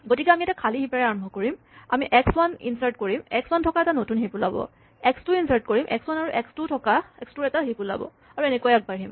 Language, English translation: Assamese, So, we start with an empty heap, we insert x 1, create a new heap containing x 1, we insert x2, creating a heap of x 1, x 2 and so on